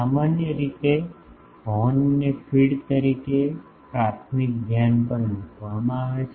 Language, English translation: Gujarati, Generally, the horn is placed at the primary focus as a feed